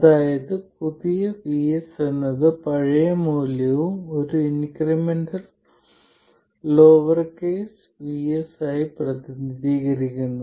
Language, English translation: Malayalam, So, that means that new VS represented as old value plus an increment lowercase VS